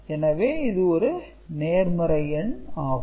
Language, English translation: Tamil, So, this is the number